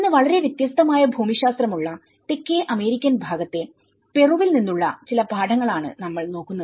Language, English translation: Malayalam, Today, we are going to take some lessons from a very different geography of the world from the South American side the Peru